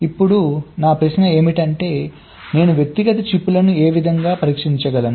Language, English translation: Telugu, right now my question is: how do i test the individual chips